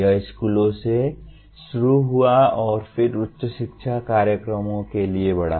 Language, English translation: Hindi, It started with schools and then got extended to higher education programs